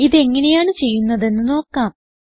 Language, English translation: Malayalam, Let us see how it it done